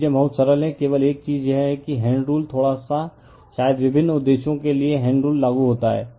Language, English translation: Hindi, So, things are very simple, only thing is that the right hand rule little bit you we probably apply for various purposes the right hand rule